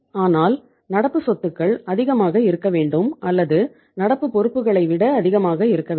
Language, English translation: Tamil, But current assets should be literally more or something more than the current liabilities